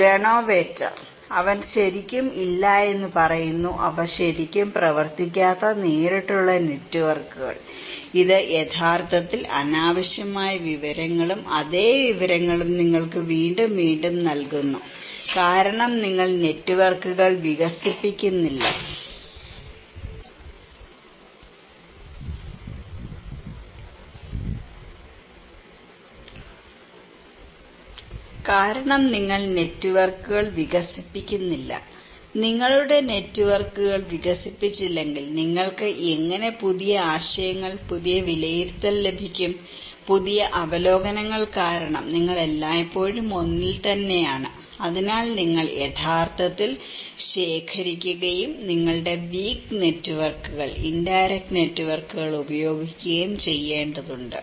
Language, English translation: Malayalam, Granovetter; he is saying no actually, a direct networks they do not really work much, this actually give you redundant informations, same informations again and again because you are not expanding your networks, unless you expand your networks how you can get new ideas, new evaluation, new reviews because you are always in the same one so, you need to actually collect, use your weak networks, indirect networks